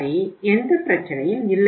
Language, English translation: Tamil, So okay no problem